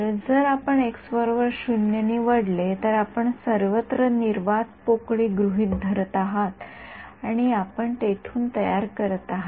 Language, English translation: Marathi, Yeah; so, if you choose x equal to 0 means you are assuming vacuum everywhere and you are building up from there